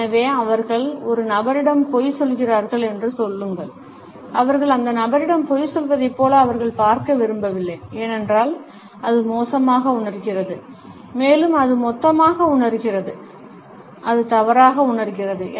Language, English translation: Tamil, So, say they are lying to a person, they do not want to look at that person as they are lying to them, because it feels bad and it feels gross and it feels wrong